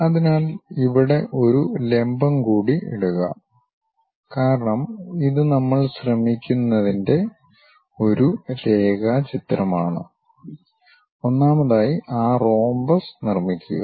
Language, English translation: Malayalam, So, here drop one more perpendicular and because it is a sketch what we are trying to have, first of all construct that rhombus